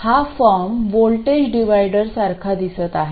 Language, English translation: Marathi, This form looks very similar to that of a voltage divider